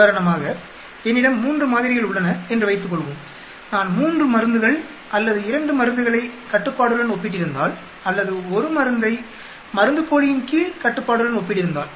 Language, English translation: Tamil, Suppose I have 3 samples for example, if I had comparing 3 drugs or 2 drugs with the control or 1 drug with control under placebo